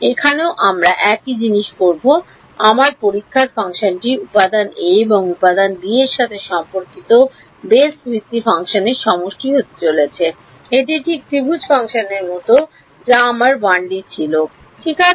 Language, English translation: Bengali, Here also we will do the same thing, my testing function is going to be the sum of the basis function corresponding to element a and element b right it is like the triangle function which I had in 1 D right